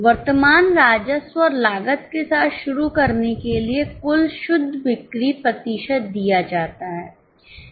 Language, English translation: Hindi, To begin with, for current revenue and costs, total net sales are given, percentages are given